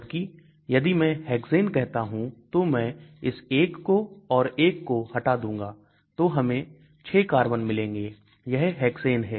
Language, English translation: Hindi, Whereas if I want hexane I will remove this 1 and 1 so I will get 6 carbons so it is a hexane